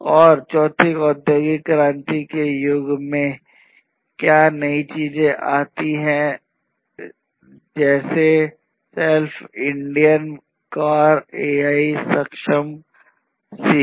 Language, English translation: Hindi, And in this fourth industrial revolution age, what are the new things that have come in technologies such as self driving cars, technologies such as AI enabled Siri, and so on